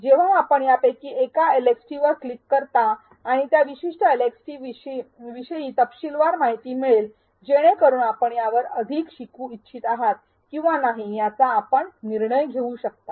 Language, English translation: Marathi, When you click on one of these LxTs, you will find detailed information on what that particular LxT entails so that you can make a decision if you would like to learn more on the same or not